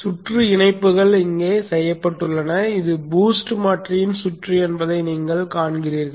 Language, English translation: Tamil, The circuit connections are made here and you see this is the circuit of the boost converter